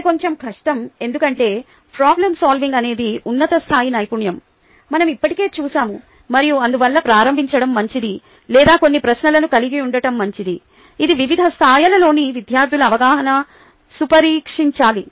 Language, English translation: Telugu, that is a little difficult because problem solving is a higher level skill that we already seen and therefore it is good to start out with ah, um, or to good to have some questions which should test the understanding of students at various levels